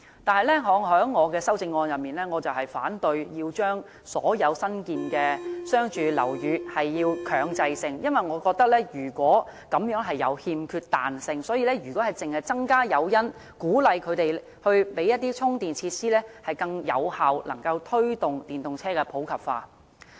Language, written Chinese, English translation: Cantonese, 但是，我的修正案反對強制所有新建商住樓宇這樣做，因為我認為這樣欠缺彈性，如果只是增加誘因，鼓勵發展商提供充電設施，已能夠更有效地推動電動車普及化。, But my amendment is against compulsorily requiring all newly constructed commercial and residential buildings to do this because I hold that this lacks flexibility if introducing additional incentives to encourage developers to provide charging facilities can already effectively promote the popularization of EVs